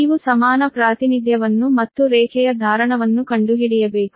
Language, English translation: Kannada, you have to find the equivalent representation as well as the capacitance of the line